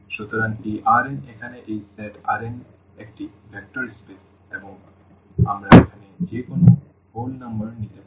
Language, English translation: Bengali, So, this R n this set here R n is a vector space and we can talk about and we can take any integers here